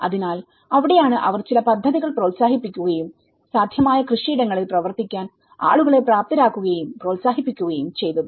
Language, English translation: Malayalam, So, that is where they have also promoted certain schemes and they also developed and encouraged the people to work on the possible cultivated areas